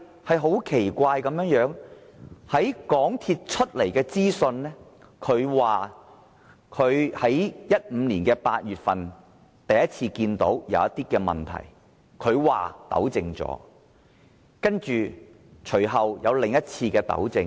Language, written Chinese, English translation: Cantonese, 說也奇怪，根據港鐵公司提供的資料，在2015年8月份首次有問題時已作出糾正，隨後又作另一次糾正。, Oddly according to the information provided by MTRCL rectification was made when problems were detected for the first time in August 2015 and then followed by another rectification